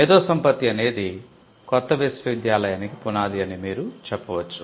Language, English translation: Telugu, You can say that intellectual property is the foundation of the new university